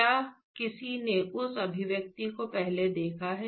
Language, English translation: Hindi, Has anyone seen that expression before